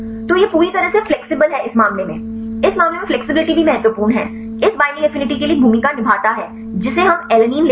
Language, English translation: Hindi, So, it is completely flexible in this case flexibility is also important plays a role for this binding affinity we take the alanine